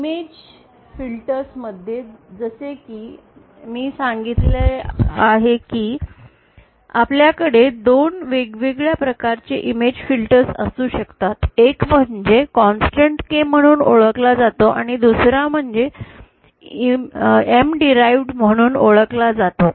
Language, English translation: Marathi, So in image filters as I said that they can have two different types of image filters one is known as the constant K and the other is known as the m derived